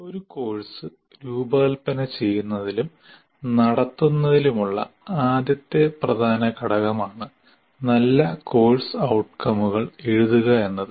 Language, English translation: Malayalam, The writing good course outcomes is the first key element in designing and conducting a course